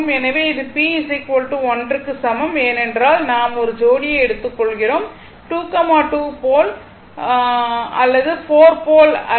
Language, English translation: Tamil, So, it is p is equal to 1 because we are taking of a pair, not 2, 2 pole or 4 pole